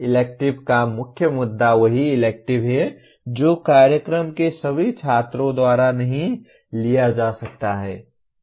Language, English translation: Hindi, The main issue of elective is same elective may not be taken by all the students of the program